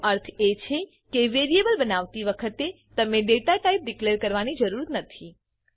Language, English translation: Gujarati, It means that you dont need to declare datatype while creating a variable